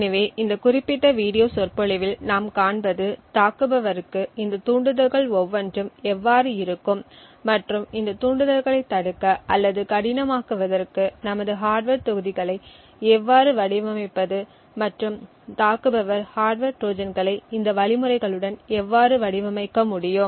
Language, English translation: Tamil, So, what we will see in this particular video lecture is how each of these triggers will look and how we can design our hardware modules so as to prevent these triggers or make it difficult for an attacker to build hardware Trojans with this mechanisms